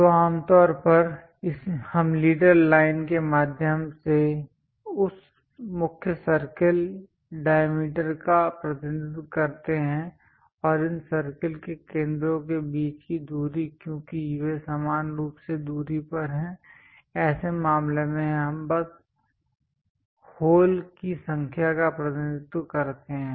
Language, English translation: Hindi, So, usually we represent that main circle diameter through leader line and also center to center distance between these circles because they are uniformly spaced in that case we just represent number of holes